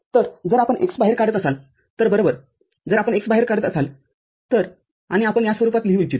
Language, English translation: Marathi, So, if you are taking out x right, if you are taking out x, and we would like to write it in this form